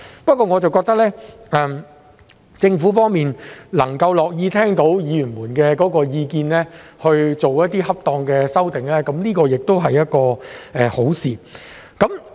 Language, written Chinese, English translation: Cantonese, 不過，我覺得政府樂意聽取議員的意見，作出恰當的修訂，這是一件好事。, Anyway I think it is a desirable move for the Government to take on board Members views and make appropriate amendments